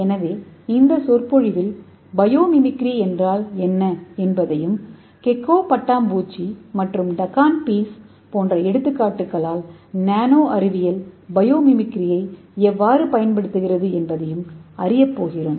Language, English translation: Tamil, So in this lecture we are going to learn what is biomimicry and how nanosciences uses biomimicry by using this examples like Gecko butterfly and toucan beaks etc